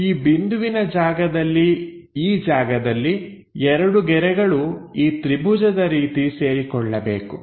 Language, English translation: Kannada, So, at this point, at this point; two lines supposed to meet in the triangular format